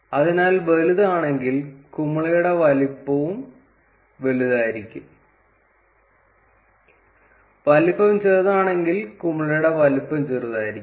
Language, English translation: Malayalam, So, if the dimension is large, larger would be the size of the bubble; and if the dimension is small then the size of the bubble will be small